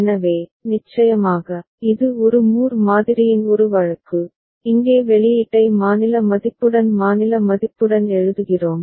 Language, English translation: Tamil, So, of course, it is a case of a Moore model right and here we write the output alongside the state value within the state ok